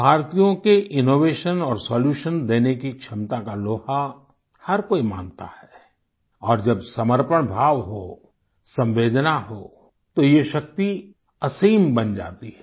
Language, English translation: Hindi, My dear countrymen, everyone acknowledges the capability of Indians to offer innovation and solutions, when there is dedication and sensitivity, this power becomes limitless